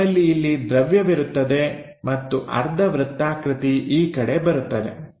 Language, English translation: Kannada, So, we will have this material comes and semi circle comes in that direction